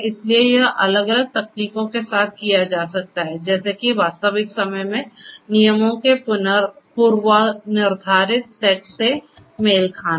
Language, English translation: Hindi, So, that can be done with different techniques something such as you know matching a predefined set of rules in real time